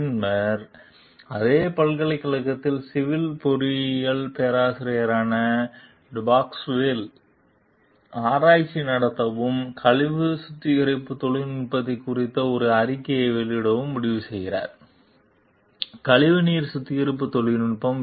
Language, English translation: Tamil, Later, Depasquale, a professor of civil engineering at the same university, decides to conduct research and publish a paper on sewerage treatment technology; sewage treatment technology